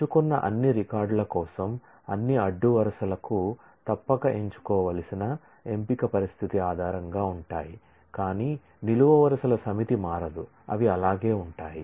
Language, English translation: Telugu, Based on a selection condition that must be true for all the rows for all the records that have been selected, but the set of columns do not change they remain the same